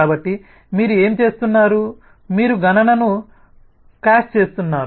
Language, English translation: Telugu, so what you are doing, you are caching the computation